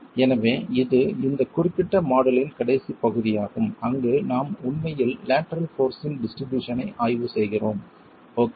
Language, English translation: Tamil, So that's the last part of this particular module where we are really examining distribution of lateral force